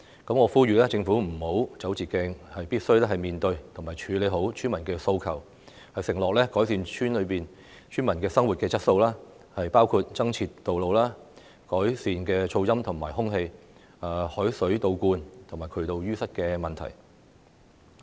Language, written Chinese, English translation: Cantonese, 我呼籲政府不要走捷徑，必須面對及處理村民的訴求，承諾改善村民的生活質素，包括增設道路、改善噪音及空氣污染、海水倒灌及渠道淤塞的問題。, I call on the Government not to take the short cut . Instead it must face and address the villagers demands and undertake to improve their quality of life which include constructing more roads and improving the problems of noise and air pollution saltwater intrusion and sewer blockage . Finally I wish to talk about the health care policy and measures that everyone is concerned about